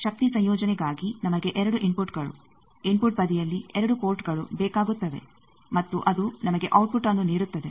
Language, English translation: Kannada, Similarly for power combining we require 2 inputs 2 ports in the input side and that will give us output